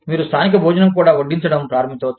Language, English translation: Telugu, You could start serving, local meals also